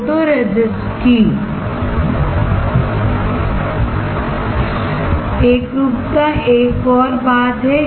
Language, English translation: Hindi, Uniformity of the photoresist is another thing